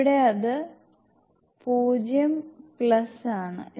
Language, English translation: Malayalam, Here it is 0 plus